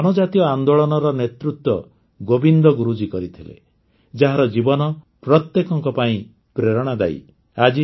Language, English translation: Odia, This tribal movement was led by Govind Guru ji, whose life is an inspiration to everyone